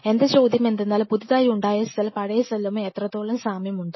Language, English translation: Malayalam, Now the question is how much closely this new cell which arose from the pre existing cell is similar to its parent